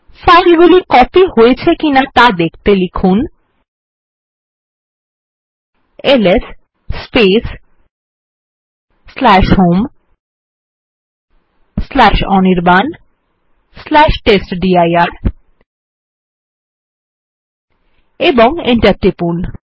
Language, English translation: Bengali, You see that this files have actually been copied.We will type ls space /home/anirban/testdir and press enter